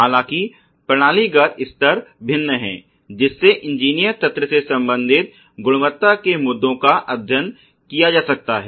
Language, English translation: Hindi, And; however, the systemic level these different you know quality issues related to engineer system can be studied